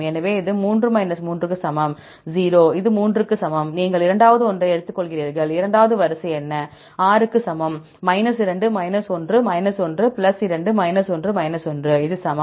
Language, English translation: Tamil, So, this equal to 3 3; 0, this equal to 3, you take second one; what is second sequence, R equal to 2 1 1 + 2 1 1; this equal to